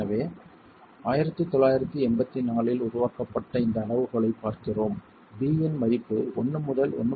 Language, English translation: Tamil, So, we're looking at this criterion developed in 1984 where the value of B ranges between 1 and 1